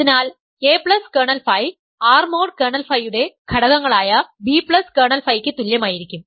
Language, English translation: Malayalam, So, a plus kernel phi could be same as b plus kernel phi as elements of R mod kernel phi